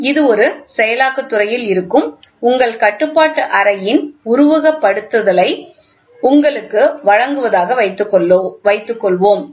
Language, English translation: Tamil, Suppose this is just to give you a simulation of your control room which is there in a processing industry